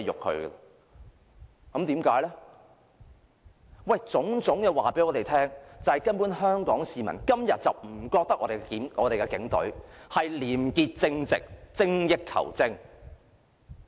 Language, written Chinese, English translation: Cantonese, 凡此種種告訴我們，今天香港市民根本不認為警隊是廉潔正直，精益求精。, All of these show us that nowadays Hong Kong people do not consider the Police Force upholds high standards and strives for continuous improvement